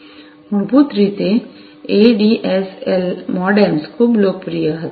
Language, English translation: Gujarati, Basically, you know ADSL modems were quite popular